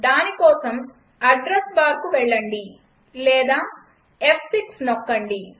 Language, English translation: Telugu, For that go to address bar or press F6